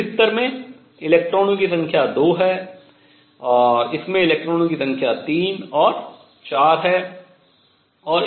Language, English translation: Hindi, The number of electrons in this level are 2; number of electrons in this is 3 and 4